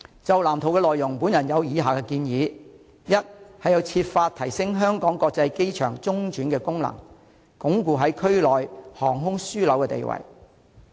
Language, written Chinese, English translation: Cantonese, 就藍圖的內容，我有以下建議：第一是要設法提升香港國際機場中轉的功能，鞏固在區內航空樞紐的地位。, Regarding the contents of the Blueprint I have the following suggestions First it is necessary to upgrade the transit function of the Hong Kong International Airport HKIA by all means in order to consolidate its position as a regional aviation hub